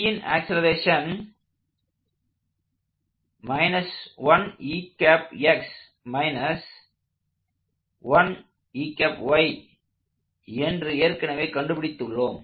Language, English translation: Tamil, So, that is the magnitude of acceleration of B